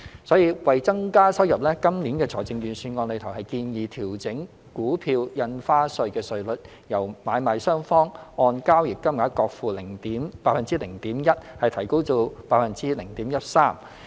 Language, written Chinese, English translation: Cantonese, 所以，為增加收入，今年度財政預算案建議調整股票印花稅稅率，由買賣雙方按交易金額各付 0.1%， 提高至 0.13%。, Hence in order to increase government revenue this years Budget proposed to revise the rate of Stamp Duty on Stock Transfers from the current 0.1 % to 0.13 % of the consideration or value of each transaction payable by buyers and sellers respectively